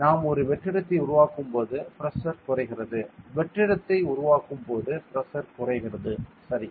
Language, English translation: Tamil, We know that when we create a vacuum the pressure decreases, when we create vacuum pressure decreases correct pressure decreases